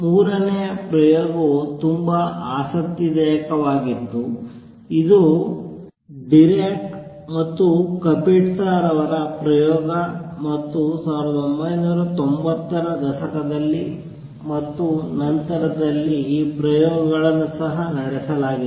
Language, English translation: Kannada, Third experiment which was very interesting which was propose way back is Dirac Kapitsa experiment and in 1990s and after that these experiments have also been performed